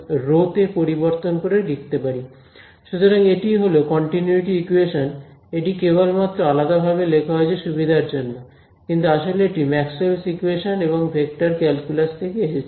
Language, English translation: Bengali, So, this is your continuity equation right, it is just written separately just for convenience, but it just comes from Maxwell’s equations and vector calculus ok